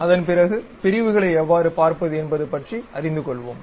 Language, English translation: Tamil, Thereafter we will learn about how to view sections